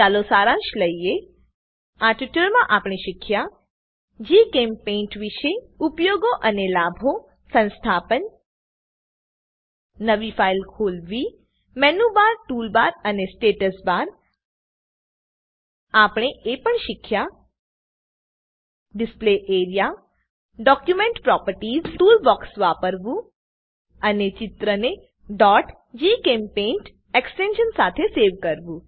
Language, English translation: Gujarati, In this tutorial we have learnt, About GChemPaint Uses and Benefits Installation Open a new file Menubar, Toolbar and Status bar We have also learnt about Display area Document Properties Using tool box and Save the drawing with extension .gchempaint As an assignment I would like you to 1